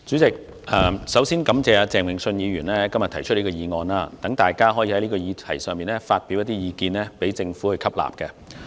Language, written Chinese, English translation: Cantonese, 主席，首先感謝鄭泳舜議員今天提出這項議案，讓大家在這議題上發表意見，讓政府吸納。, President first of all I would like to thank Mr Vincent CHENG for moving this motion today to allow Members to express their views on this subject for the Governments consideration